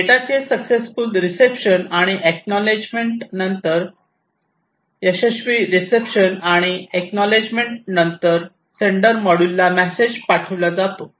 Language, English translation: Marathi, So, after successful reception and acknowledgement message is sent to the sender module